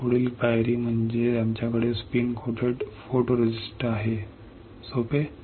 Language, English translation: Marathi, Next step is we have spin coated photoresist correct easy